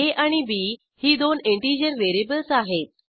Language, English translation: Marathi, And two integer variables as a and b